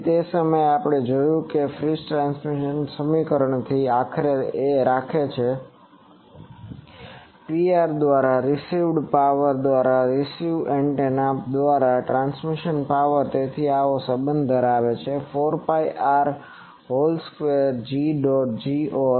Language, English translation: Gujarati, So, that time we have seen that from Friis transmission equation, ultimately keeps us that Pr by received power by the received antenna by the power transmitted, so they have this relationship 4 pi R whole square G ot G or